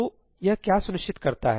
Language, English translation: Hindi, So, what does this ensure